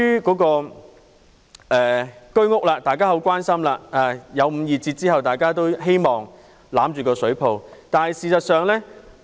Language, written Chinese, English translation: Cantonese, 居屋售價作出了五二折的調整後，大家都希望抱着這個救生圈。, After HOS prices have been revised to 52 % of market values HOS housing has become a life - saver which all people hope to grasp